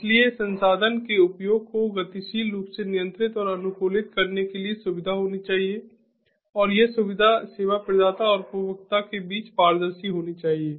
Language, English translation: Hindi, so there should be facility to dynamically control and optimize the resource usage, and this facility should be transparent between the service provider and the consumer